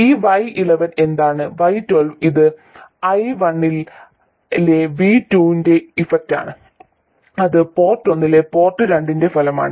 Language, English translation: Malayalam, It is the effect of V2 on I1, that is the effect of port 2 on port 1